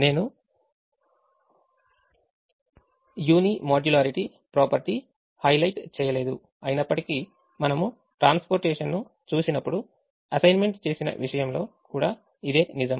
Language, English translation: Telugu, i have not highlighted the unimodularity property, though i mentioned it when we looked at transportation